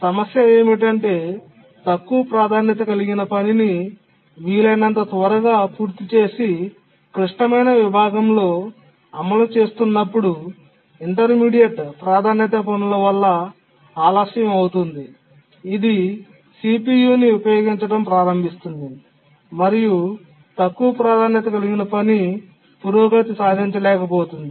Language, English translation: Telugu, If you remember a low priority task which was executing in the critical section was getting delayed by intermediate priority tasks which has started to use the CPU and the low priority task could not make progress